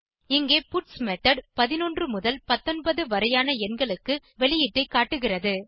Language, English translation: Tamil, The puts method here will display the output for numbers 11 to 19